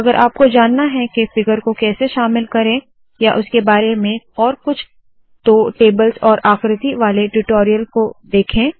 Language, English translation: Hindi, By the way if you want to know about how to include a figure and more about it you have to go to the spoken tutorial on tables and figures